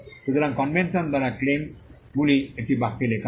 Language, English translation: Bengali, So, by convention claims are written in one sentence